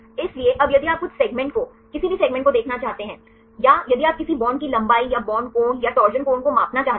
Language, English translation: Hindi, So, now if you want to see a few segments any segments or if you want to measure any bond length or bond angle or torsion angle